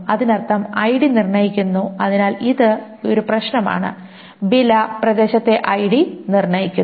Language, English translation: Malayalam, So that means ID determines, so this is the problem, ID determines area which determines price